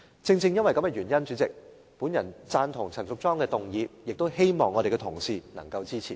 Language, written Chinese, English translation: Cantonese, 主席，正因如此，我贊同陳淑莊議員的議案，亦希望同事能夠支持。, President for this reason I endorse Ms Tanya CHANs motion and I also hope that Honourable colleagues will support it